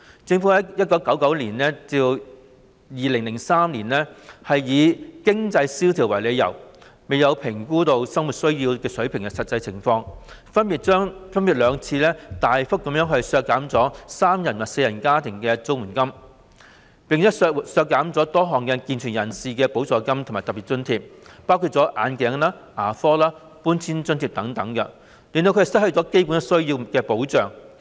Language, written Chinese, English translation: Cantonese, 政府在1999年及2003年以經濟蕭條為由，在未有評估實際生活需要水平的情況下，分別兩次大幅削減三人及四人家庭的綜援金額，並削減了多項健全人士的補助金和特別津貼，包括眼鏡、牙科和搬遷津貼等，使他們失去基本需要方面的保障。, On two occasions respectively in 1999 and 2003 without assessing the actual level of basic needs the Government reduced the CSSA rates for three - person and four - person households substantially on the ground of economic downturn and cut a number of supplements and special grants for able - bodied people including the grants to cover the costs of glasses dental treatment and domestic removal and as a result they lost the protection for their basic needs